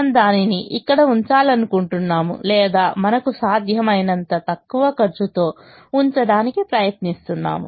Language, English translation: Telugu, ideally we would like to put it here, or try to put as much as we can in the least cost position